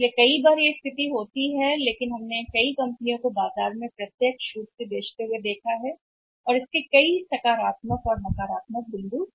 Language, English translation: Hindi, So sometime that is the situation but we have seen many companies are selling directly in the market and in that case say there are many positive is also there many negative is also